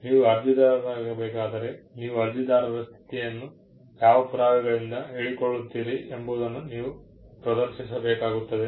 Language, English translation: Kannada, If you need to be an applicant, you need to demonstrate by what proof you are claiming the status of an applicant